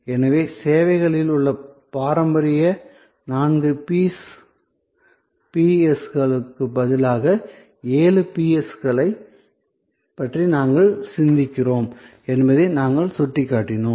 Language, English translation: Tamil, So, we just pointed out that instead of the traditional four P’s in services, we think of seven P’s